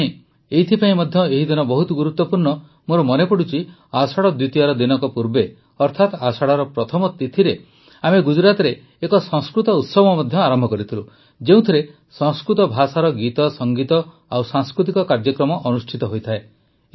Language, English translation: Odia, For me this day is also very special I remember, a day before Ashadha Dwitiya, that is, on the first Tithi of Ashadha, we started a Sanskrit festival in Gujarat, which comprises songs, music and cultural programs in Sanskrit language